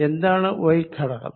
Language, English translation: Malayalam, How about the y component